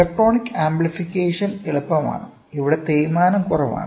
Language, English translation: Malayalam, So, electronic amplification is easy where, wear and tear is also less